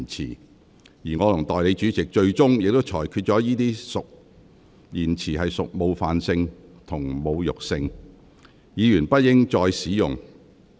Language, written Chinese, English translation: Cantonese, 最終，我和代理主席裁定這些言詞屬冒犯性及侮辱性，議員不應再次使用。, In the end the Deputy President and I had ruled the expressions to be offensive and insulting and advised Members against using them again